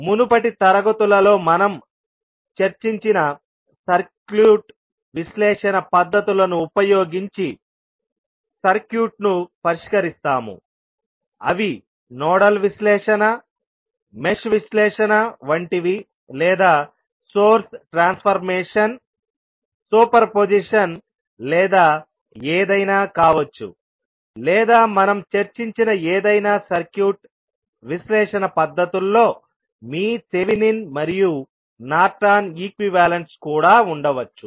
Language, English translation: Telugu, And then we will solve the circuit using the circuit analysis techniques which we discussed in the previous classes those are like nodal analysis, mesh analysis or may be source transformation, superposition or any circuit analysis techniques which we discussed this includes your Thevenin’s and Norton’s equivalent’s also